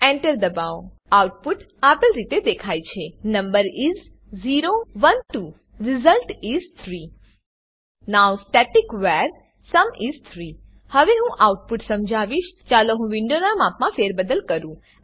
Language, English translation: Gujarati, Press Enter The output is displayed as, Number is: 0, 1, 2 Result is: 3 Now static var sum is 3 Now I will explain the output: Let me resize the window